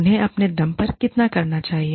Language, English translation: Hindi, How much should they do, on their own